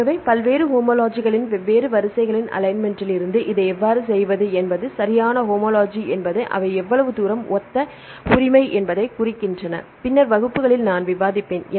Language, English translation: Tamil, So, how to do this from the alignment of different sequences of various this homologies right homology means how far they are similar right that I will discuss in the later classes